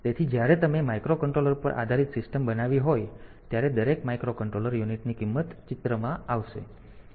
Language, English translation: Gujarati, So, when you are when you are built a system based on a microcontroller then every unit that you sell the microcontroller price will come into picture